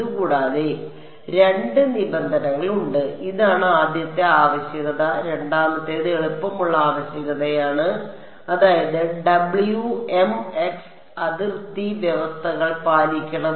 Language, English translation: Malayalam, In addition I was actually right there are two conditions, this is the first requirement second is the easier requirement which is that Wmx must obey the boundary conditions